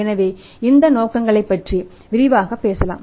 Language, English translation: Tamil, So, let us talk about these motives in detail